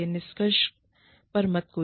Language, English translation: Hindi, Do not jump to conclusions